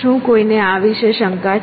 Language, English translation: Gujarati, Is anyone having a doubt about this